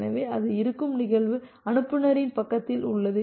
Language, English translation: Tamil, So, the event which is there it is in the sender side